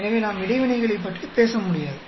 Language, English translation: Tamil, So, we cannot talk about interactions at all